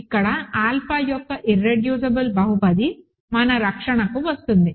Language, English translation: Telugu, And here, the polynomial, irreducible polynomial of alpha comes to our rescue